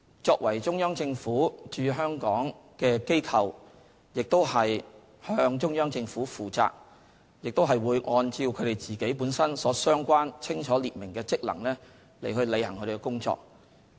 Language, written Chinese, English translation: Cantonese, 中聯辦是中央政府駐香港的機構，向中央政府負責，亦會按照其清楚列明的職能，履行工作。, As an office set up the Central Government in Hong Kong CPGLO is responsible to the Central Government and will do its job in accordance with its clear terms of reference